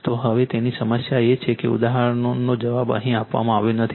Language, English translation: Gujarati, So, now, next problem is example answer is not given here answer is not given here